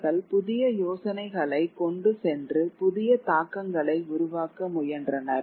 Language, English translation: Tamil, They carried new ideas and tried to create new impact